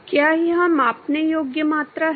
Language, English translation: Hindi, Is it a measurable quantity